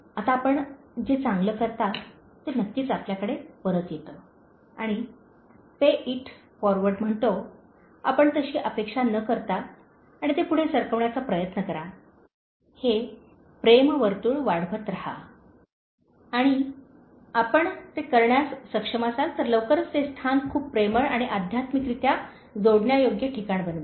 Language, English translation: Marathi, Now, the good you do, definitely comes back to you and Pay It Forward says, you do it without even expecting it and then try to Pay It Forward, just keep this love circle growing and if you are able to do that you will soon make the place a very lovable and spiritually connectable place